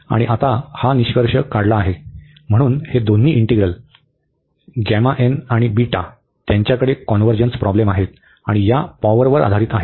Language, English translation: Marathi, And now that is the conclusion now, so both the integrals this gamma n the beta, they have the convergence issues and based on this power here